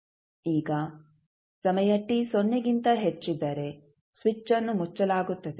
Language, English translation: Kannada, Now, for time t greater than 0 switch is closed